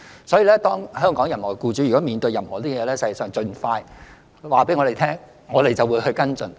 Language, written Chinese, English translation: Cantonese, 所以，如果任何香港僱主面對有關情況，應盡快告訴我們，我們會跟進。, So employers in Hong Kong should let us know as soon as possible if they face the situation in question and we will then follow up their cases